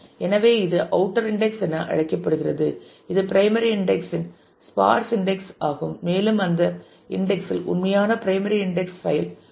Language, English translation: Tamil, So, which is called the outer index which is a sparse index of the primary index and in that index is the actual primary index file